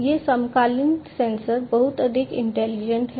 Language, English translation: Hindi, These contemporary sensors have been made much more intelligent